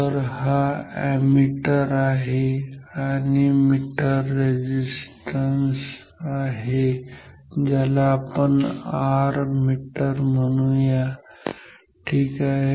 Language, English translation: Marathi, So, this is an ammeter and the meter resistance call it call it R meter ok